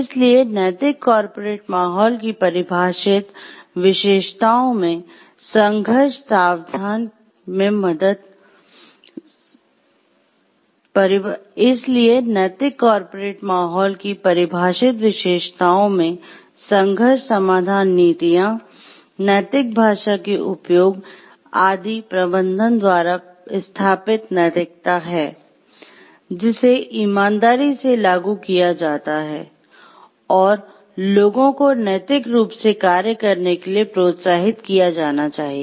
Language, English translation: Hindi, So, one of the defining features of ethical corporate climate is having conflict resolution policies is having as setting up a moral tone by the management and use of ethical language, which is applied honestly and people should be encouraged to function in an ethical way